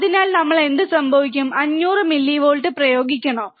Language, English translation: Malayalam, So, what happens if we apply 500 millivolts